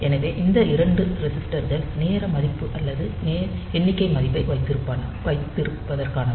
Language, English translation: Tamil, So, they these 2 resistors are for holding the time value or the count value